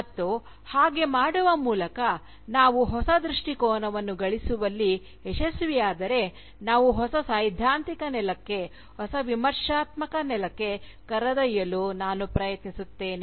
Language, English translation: Kannada, And, by doing so, I will try and find out, if we are led to a new theoretical ground, a new Critical ground, if we managed to earn a new perspective